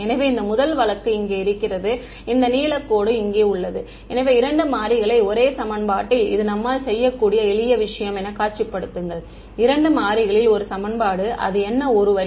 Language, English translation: Tamil, So, this first case over here is where I have this blue line over here; so, two variables one equation that is the simplest thing we can visualize, that one equation in two variables is what a line